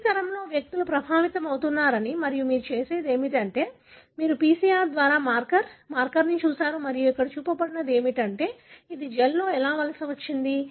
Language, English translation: Telugu, We can see that individuals in every generation is affected and what you have done is, you have looked at a marker, a marker by PCR and what is shown here is the, how it migrated in a gel